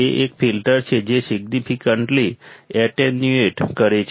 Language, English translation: Gujarati, It is a filter that significantly attenuates